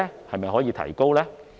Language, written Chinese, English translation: Cantonese, 是否可以提升呢？, Can it be increased?